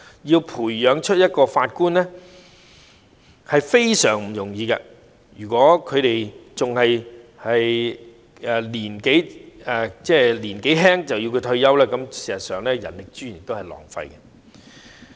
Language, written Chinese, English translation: Cantonese, 要培養一名法官是非常不容易的，如果他們年齡尚輕便要退休，事實上是浪費人力資源。, Given the difficulties in training judges if judges have to retire when they are still young this is actually a waste of human resources